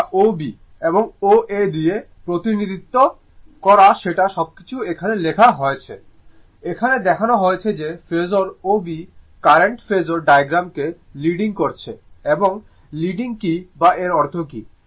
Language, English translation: Bengali, Represented by O B and O A everything is written here, here it is shown that the phasor O B is leading the current phasor diagram that what is the leading or that what does it mean